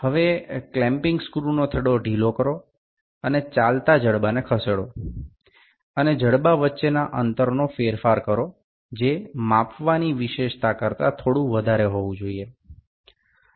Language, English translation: Gujarati, Now, loosely the clamping screw and sliding the moveable jaw altering the opening between the jaws is slightly more than the feature to be measured